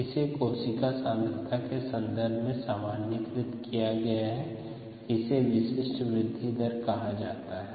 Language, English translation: Hindi, it is been normalized with respective cell concentration and therefore it is called the specific growth rate